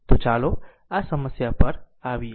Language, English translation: Gujarati, So, let us come to this problem right